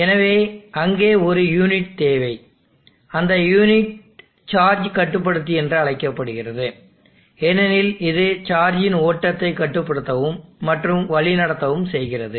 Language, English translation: Tamil, So you need a unit there and that unit is called the charge controller, because it controls the flow of charge and controls this, it steers the flow of charge